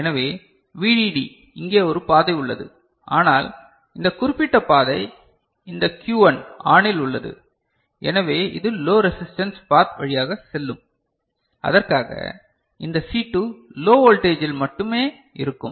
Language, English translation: Tamil, So, VDD there is a path over here, but this particular paths this Q1 is ON, right, so it will go through this you know a low resistance path over here and for which this C2 will remain at you know low voltage only, is it ok